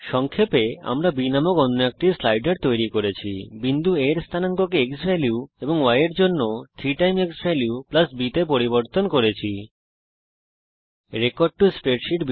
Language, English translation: Bengali, Now to summarize, we made another slider named b, altered point A coordinate to xValue and 3 xValue + b for the y coordinate